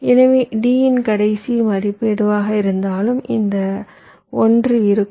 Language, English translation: Tamil, so whatever was the last of d, this one, this one will remain